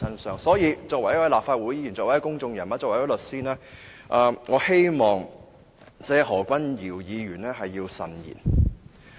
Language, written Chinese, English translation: Cantonese, 所以，作為一位立法會議員、公眾人物及律師，我希望何議員慎言。, Hence as a Member of the Legislative Council a public figure and a solicitor I hope that Dr HO would be cautious with his words